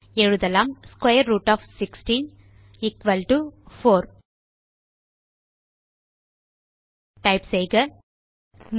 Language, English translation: Tamil, Now let us write square root of 16 = 4 Type 3